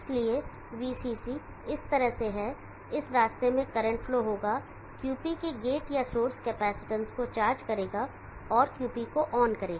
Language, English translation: Hindi, Therefore from VCC is like this, in this part current flow charge up the gate or source capacitance of QP and turn on QP